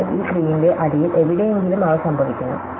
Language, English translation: Malayalam, So, they occur somewhere at the bottom of this tree